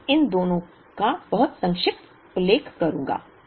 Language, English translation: Hindi, I will make a very brief mention of both of these